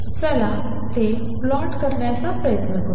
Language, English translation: Marathi, Let us try to plot it